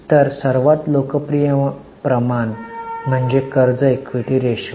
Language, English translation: Marathi, So, the most popular ratio is debt equity ratio